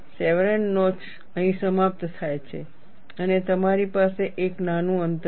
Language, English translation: Gujarati, The chevron notch ends here and you have a small distance